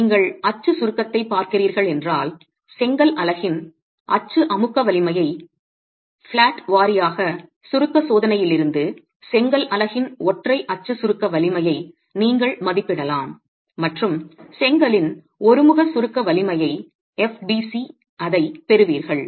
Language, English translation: Tamil, If you're looking at the axial compression, which you can estimate the axial compressive strength of the brick unit, uniaxle compresses strength of the brick unit from a flatwise compression test and you get FBC the uniaxyl compresses strength of the brick